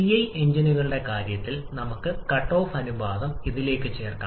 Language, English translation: Malayalam, In case of CI engines we can add the cut off ratio to this